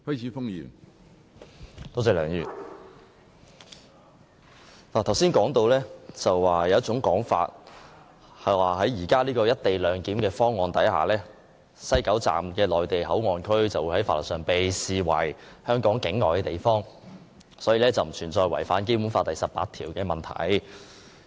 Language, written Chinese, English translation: Cantonese, 梁議員，剛才提到有一種說法，指根據現時的"一地兩檢"方案，設於西九龍站的內地口岸區會在法律上被視為香港境外地方，所以並不存在違反《基本法》第十八條的問題。, Mr LEUNG just now I was talking about one argument the argument that since the Mainland Port Area set up in the West Kowloon Station under the co - location arrangement will be regarded as a place outside Hong Kong from the legal point of view there will be no question of contravening Article 18 of the Basic Law